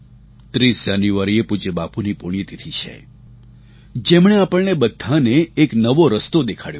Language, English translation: Gujarati, The 30 th of January is the death anniversary of our revered Bapu, who showed us a new path